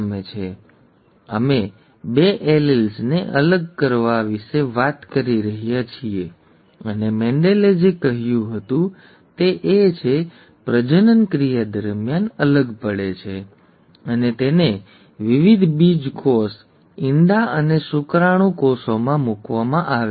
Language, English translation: Gujarati, Here we are talking about the separation of the two alleles, and what Mendel said was that they segregate during gamete formation and are placed in different gametes, the egg and the sperm cells